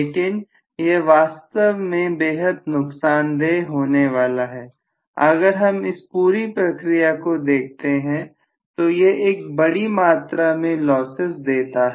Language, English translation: Hindi, But this actually is going to be extremely lossy, if I look at the whole thing I am going to have extremely large amounts of losses